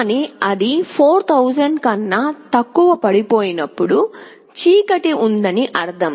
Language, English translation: Telugu, But when it falls less than 4000, it means that there is darkness